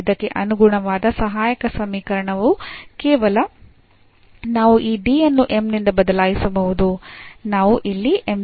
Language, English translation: Kannada, So, the auxiliary equation corresponding to this will be just we can replace this D by m